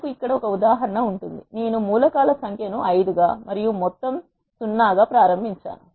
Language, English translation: Telugu, We will have an example here, I am initialising number of elements to be 5 and some to be 0